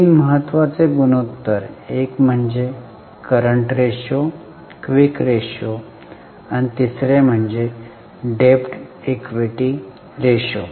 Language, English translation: Marathi, One was current ratio, quick ratio and the third one was debt equity ratio